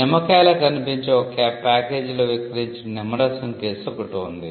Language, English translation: Telugu, There was a case involving a lemon juice which was sold in a packaging that look like a lemon